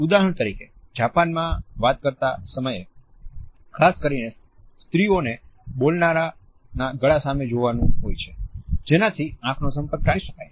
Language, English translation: Gujarati, For example, in Japan listeners particularly women are taught to focus on a speaker’s neck in order to avoid eye contact